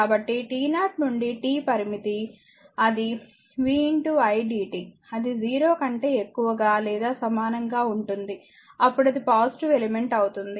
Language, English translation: Telugu, So, t 0 to t limit it is vi dt it will be greater that equal to 0, then you can say it is a passive elements